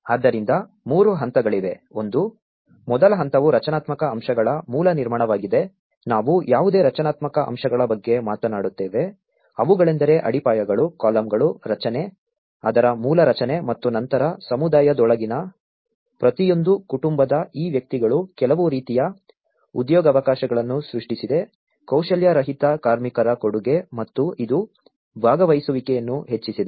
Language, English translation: Kannada, So there are 3 stages, one is the first stage the basic construction of the structural elements we talk about any structural elements like the foundations, the columns, the structure, the basic structure of it and then these individuals from each family within the community have contributed the unskilled labour that has created some kind of employment opportunities and this has also enhanced the participation